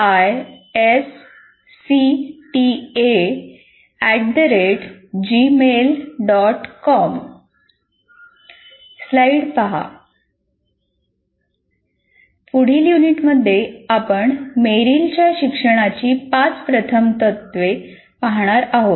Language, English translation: Marathi, And in the next unit, we will be looking at Merrill's five first principles of learning